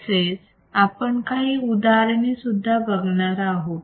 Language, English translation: Marathi, And we will think some examples